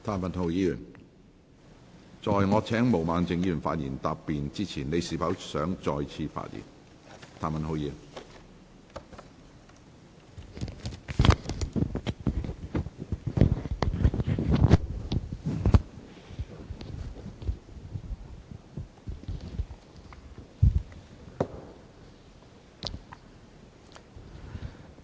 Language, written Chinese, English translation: Cantonese, 譚文豪議員，在我請毛孟靜議員發言答辯之前，你是否想再次發言？, Mr Jeremy TAM do you wish to speak again before I call upon Ms Claudia MO to reply?